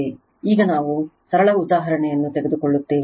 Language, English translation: Kannada, Now, we will take a simple example right